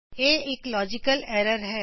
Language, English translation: Punjabi, This is a logical error